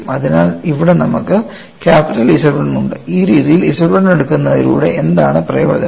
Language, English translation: Malayalam, So, here we are having this capital Z 1 and what is the advantage by taking Z 1 in this fashion